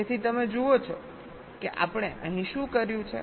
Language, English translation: Gujarati, so you see what we have done here